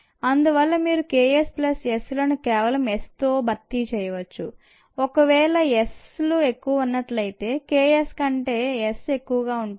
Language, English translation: Telugu, so you can very safely replace k s plus s with just s alone if s happens to be much, much greater than k s